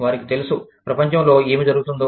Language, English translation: Telugu, They know, what is going on, in the world